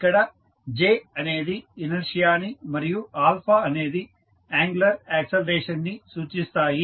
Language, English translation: Telugu, The j will be inertia of the body and alpha is called as angular acceleration